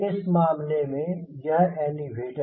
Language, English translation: Hindi, in this case this is elevator